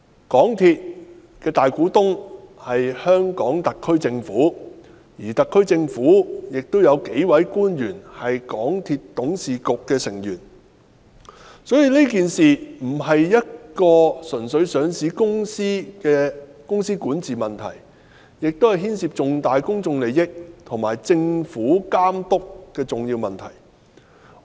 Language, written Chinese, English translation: Cantonese, 港鐵公司的大股東是香港特別行政區政府，而特區政府亦有數位官員是港鐵公司董事局的成員，所以此事並非單純是一間上市公司的管治問題，亦牽涉重大的公眾利益和政府監督等重要問題。, The Government of the Hong Kong Special Administrative Region SAR is the principal shareholder of MTRCL whereas several officials of the SAR Government are members of the MTRCL Board . Hence the incident is not merely a management issue of a listed company as it also involves important issues like significant public interest and the supervision of the Government